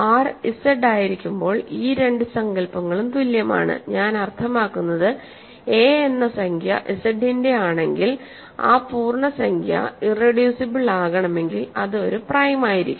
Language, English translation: Malayalam, When R is Z these two notions are same, what I mean is, an integer if a belongs to Z, a is irreducible if and only if a is prime